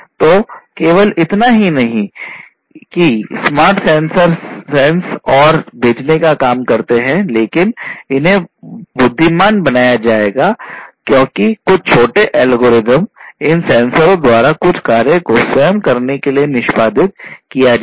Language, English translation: Hindi, So, not only that these sensors the smart sensors would sense and send, but these would be made intelligent because certain small algorithms lightweight algorithms will be executed in these sensors to do certain tasks at the sensors themselves